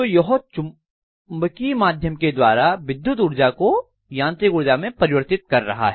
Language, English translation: Hindi, So it is converting from electrical energy to mechanical energy through magnetic via media